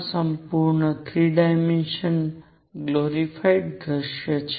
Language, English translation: Gujarati, This is the full glorified 3 dimensional view